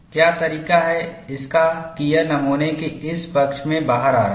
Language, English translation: Hindi, What is the way it is coming out in this side of the specimen